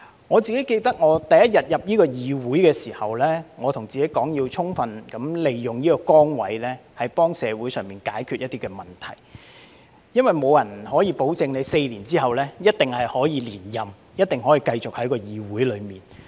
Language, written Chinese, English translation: Cantonese, 我記得我第一天進入這個議會時，我告訴自己要充分利用這崗位，幫助社會解決一些問題，因為沒有人能保證我在4年後一定可以連任，一定可以繼續留在議會內。, I recall that the first day when I joined this Council I told myself that I must make full use of this position to help solve some problems in society because no one could guarantee that I could surely be re - elected and remain in this Council four years later